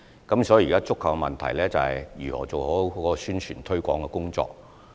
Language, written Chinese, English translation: Cantonese, 現時觸及的問題，是如何做好宣傳推廣的工作。, The problem under discussion is how publicity can be better launched